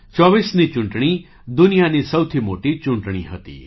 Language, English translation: Gujarati, The 2024 elections were the biggest elections in the world